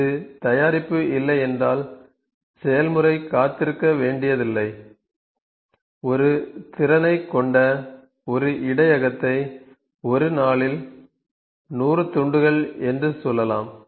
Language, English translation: Tamil, If it has does not have the product process does not have to wait it can put a buffer it can the buffer capacity would be there buffer capacity that it can oh let me say 100 pieces in a day